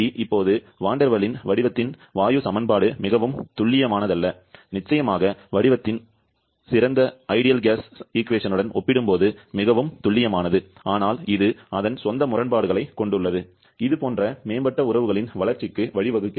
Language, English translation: Tamil, Now, Van der Waals gas equation of state that is not the very accurate as well definitely, more accurate compared to the ideal gas equation of state but it has its own inconsistencies leading to the development of more advanced relations like this one